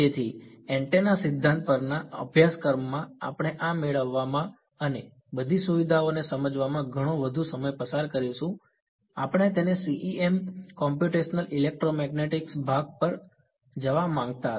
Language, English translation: Gujarati, So, in a course on the antenna theory we would spend a lot more time deriving this and understanding all the features, we want to sort of get to the CEM Computational ElectroMagnetics part of it